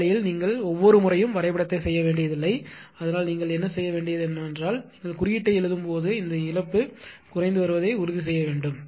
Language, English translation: Tamil, This way this way although you need not plot the graph every time, so what you have to do is that you have to just you have to see that when you write the code actually you have to see this loss is decreasing, right